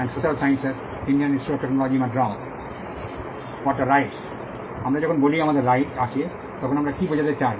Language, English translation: Bengali, What do we mean when we say we have a right